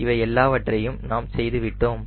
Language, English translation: Tamil, all this things we have done right